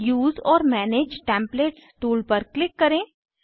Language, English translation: Hindi, Click on Use or manage templates tool